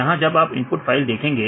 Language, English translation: Hindi, In this case if you see this input file